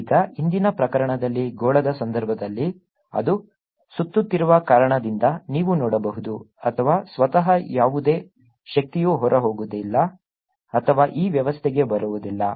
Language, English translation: Kannada, now, in the previous case, in the case of a sphere, you can see, since its winding around or itself, there is no energy going out or coming into this system